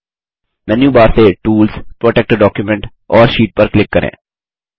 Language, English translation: Hindi, From the Menu bar, click on Tools, Protect Document and Sheet